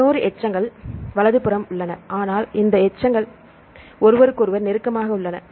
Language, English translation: Tamil, 11 residue is far apart right, but this can be possible these residues are close to each other